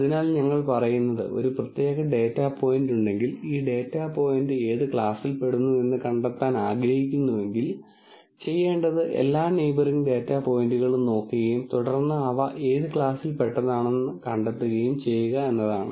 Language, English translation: Malayalam, So, what basically we are saying is, if there is a particular data point and I want to find out which class this data point belongs to, all I need to do is look at all the neighboring data points and then find which class they belong to and then take a majority vote and that is what is the class that is assigned to this data point